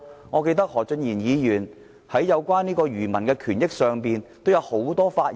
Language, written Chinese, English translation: Cantonese, 我記得何俊賢議員在有關漁民權益上也曾踴躍發言。, I remember that Mr Steven HO had enthusiastically spoken about protecting the rights of fishermen in some discussions